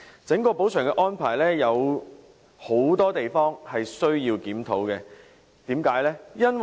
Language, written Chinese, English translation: Cantonese, 整個補償安排有許多需要檢討的地方，原因為何？, Many aspects of the overall compensation arrangement warrant a review . Why?